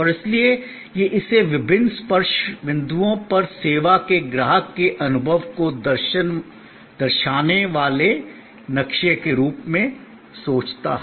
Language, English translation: Hindi, And so, it think of it as a map showing the customer's experience of the service at various touch points